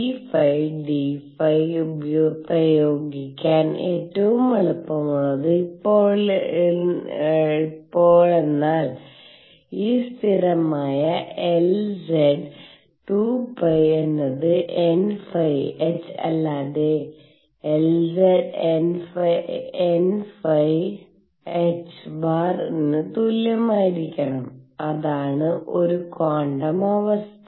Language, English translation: Malayalam, The easiest to apply the p phi d phi which is nothing but this constant L z times 2 pi should be equal to n phi times h or L z is equal to n phi h cross that is one quantum condition